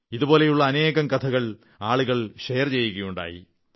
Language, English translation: Malayalam, Many such stories have been shared by people